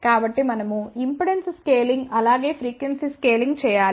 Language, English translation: Telugu, So, we have to do the impedance scaling as well as frequency scaling